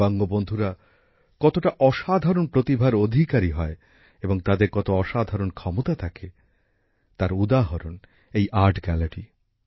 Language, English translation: Bengali, How Divyang friends are rich in extraordinary talents and what extraordinary abilities they have this art gallery is an example of that